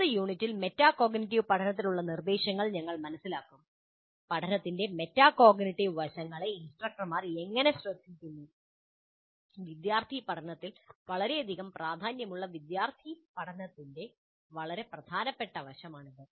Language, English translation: Malayalam, And in the next unit, we'll understand instruction for metacognitive learning, an extremely important aspect of student learning, which has tremendous influence on student learning, and how do the instructors take care of the metacognitive aspects of learning